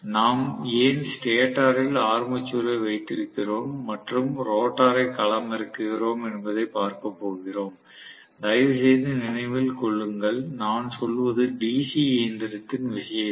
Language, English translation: Tamil, So, we are going to see why we are having the armature in the stator and fielding the rotor, please remember, in the case of DC machine I am going to